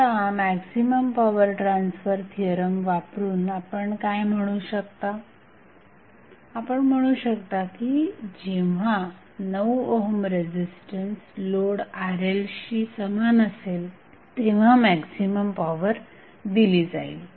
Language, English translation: Marathi, Now, using maximum power transfer theorem, what you can say that the maximum power will be transferred only when the 9 ohm resistance is equal to the load that is Rl